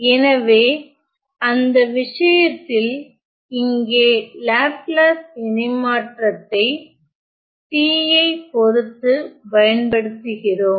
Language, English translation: Tamil, So, in that case we apply Laplace transform, with respect to t here